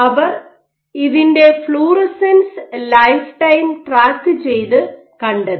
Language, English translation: Malayalam, So, they track to the fluorescence lifetime of this and found the lifetime of